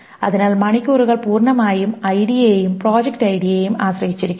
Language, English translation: Malayalam, So hours dependent completely on ID and project ID